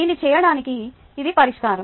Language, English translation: Telugu, this is the solution